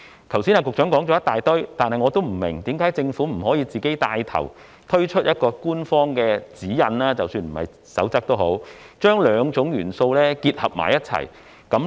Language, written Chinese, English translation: Cantonese, 局長剛才說了一大堆話，但我不明白的是，為何政府不可以帶頭推出一份官方指引——即使不是守則也好——將兩種元素結合起來？, The Secretary has made some lengthy remarks just now but what I do not understand is why the Government cannot take the lead to issue an official guideline―it would be fine even if it is not a code―which incorporates these two elements?